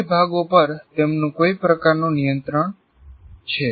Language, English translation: Gujarati, All the four parts, he has some kind of control